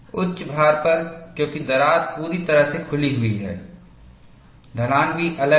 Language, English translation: Hindi, At higher loads, because the crack is fully opened, the slope is also different